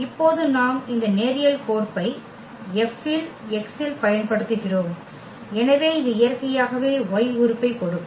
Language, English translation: Tamil, And now we apply this linear map F on x which will give us the element y naturally